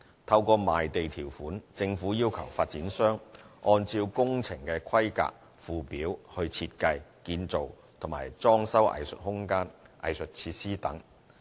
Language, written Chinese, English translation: Cantonese, 透過賣地條款，政府要求發展商按照工程規格附表來設計、建造和裝修藝術空間、藝術設施等。, With provisions so drawn up in the conditions of sale the Government asks the developer to design build and refurbish arts space and arts facilities according to the technical schedule